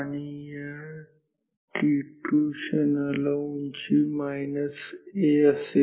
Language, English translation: Marathi, And, at this moment t 2 height is minus A